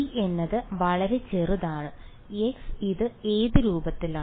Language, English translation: Malayalam, g right and g is of the form for very small x it is of what form